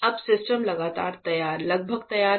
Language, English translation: Hindi, So, now the system is almost ready